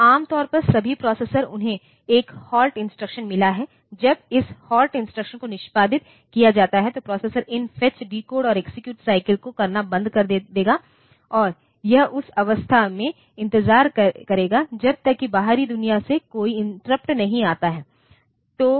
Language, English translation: Hindi, So, normally all the processors they have got 1 halt instruction when this halt instruction is executed then the processor will stop doing these fetch decode execute cycles anymore and it will wait in that state until and unless an interrupt comes from the outside world